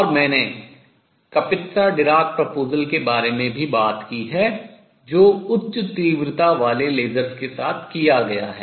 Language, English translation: Hindi, And I have also talked about Kapitsa Dirac proposal which has been performed with high intensity lasers